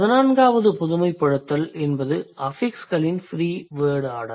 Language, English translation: Tamil, The 14th generalization is the free order of affixes is rare across languages